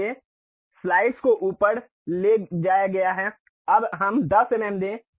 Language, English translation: Hindi, So, now the slice has been moved up now let us give 10 mm